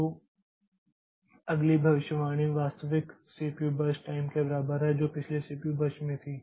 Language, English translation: Hindi, So, the next prediction is made to be equal to the actual CPU burst time that we had in the previous burst